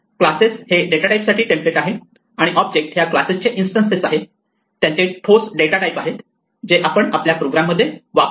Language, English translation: Marathi, Classes are templates for data types and objects are instances of these classes they have a concrete data types which we use in our program